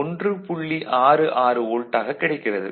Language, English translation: Tamil, 66 volt ok